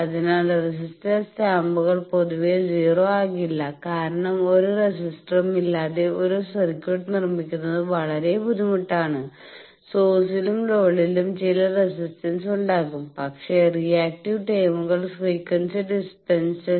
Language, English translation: Malayalam, So, resistors stumps cannot be 0 generally, because it is very difficult to make a circuit without any resistor both the source and load they will have some resistances, but reactive terms their frequency dependence